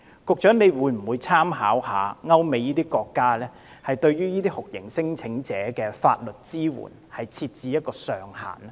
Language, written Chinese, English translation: Cantonese, 局長會否參考歐美國家的做法，就這些酷刑聲請者的法律支援設置上限？, Will the Secretary draw reference from the practices adopted by the United States and European countries by capping the legal assistance provided for these torture claimants?